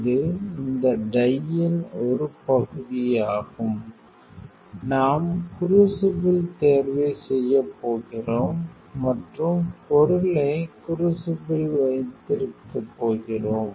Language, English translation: Tamil, This is part one to this time we are going to do the crucible selection and keep the material in the crucible